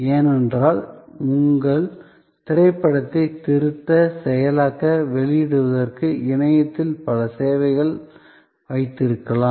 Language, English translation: Tamil, Because, of the so many services that you can have on the web to edit your movie, to process it, to publish it